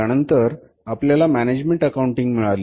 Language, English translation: Marathi, Then we had management accounting